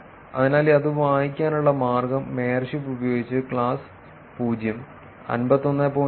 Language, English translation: Malayalam, So, the way to read it is that just using mayorship, in the class 0, 51